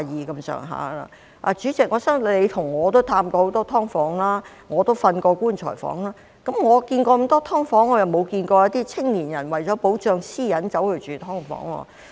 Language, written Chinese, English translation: Cantonese, 代理主席，我相信你和我都探訪過很多"劏房"，我更睡過"棺材房"，我去過很多"劏房"，但沒有看到一些青年人為了保障私隱而住"劏房"。, Deputy President I believe you and I have visited many SDUs and I have even slept in coffin - sized units . I have visited many SDUs but I have not seen any young people living in SDUs for privacy